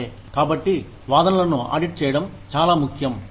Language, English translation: Telugu, Okay So, it is very important, to audit the claims